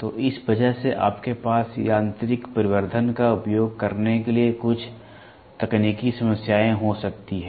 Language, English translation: Hindi, So, because of that you can have some technical issues for using mechanical amplification